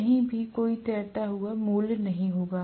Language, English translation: Hindi, There will not be any floating value anywhere